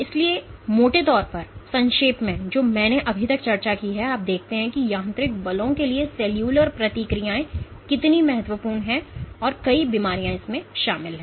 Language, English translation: Hindi, So, to summarize broadly what I have discussed so far you see how cellular responses to mechanical forces are crucial and involved in numerous diseases